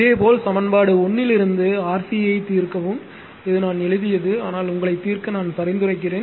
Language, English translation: Tamil, Similarly, from equation one solve for c this is I have written, but I suggest you to solve